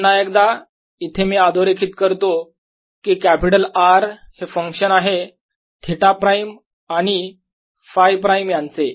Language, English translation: Marathi, let me write to show explicitly that this capital r is a function of theta prime and phi prime